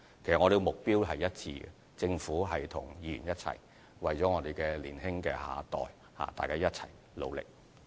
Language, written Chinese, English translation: Cantonese, 我們的目標其實是一致的，政府和議員為年輕的下一代一起努力。, Our goals are actually consistent in that both the Government and Honourable Members are making joint efforts for our future generations